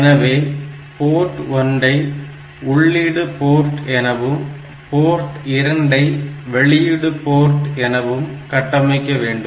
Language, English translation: Tamil, So, port P 1 has to be configured as input port